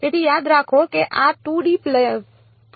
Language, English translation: Gujarati, So, remember that these are 2D pulses